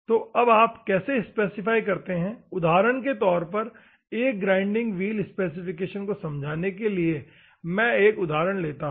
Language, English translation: Hindi, So, how do you specify, for example, let me take an example to explain a grinding wheel specification ok